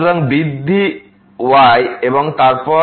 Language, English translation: Bengali, So, increment in and then